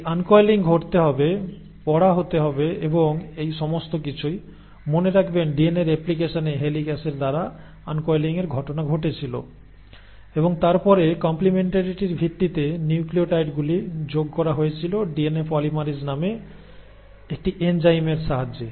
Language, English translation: Bengali, Now this uncoiling has to happen, the reading has to take place and all this; remember in DNA replication the uncoiling was happening by helicases and then the nucleotides were being added by an enzyme called as DNA polymerase based on complementarity